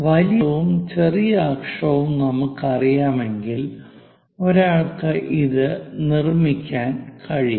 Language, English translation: Malayalam, If we know major axis, minor axis, one will be in a position to construct this